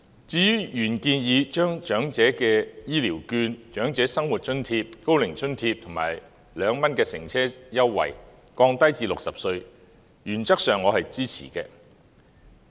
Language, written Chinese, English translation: Cantonese, 至於原議案建議將長者的醫療券、長者生活津貼、高齡津貼及 "2 元乘車優惠"的年齡門檻降低至60歲，原則上我是支持的。, On the original motions proposal to lower the age threshold for the Elderly Health Care Voucher Scheme the Old Age Living Allowance the Old Age Allowance and the 2 public transport fare concession scheme to 60 I support it in principle